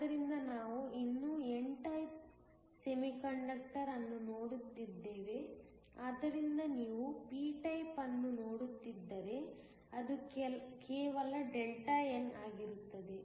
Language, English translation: Kannada, So, we are still looking at an n type semiconductor but, if you are looking a p type then, it will just be Δn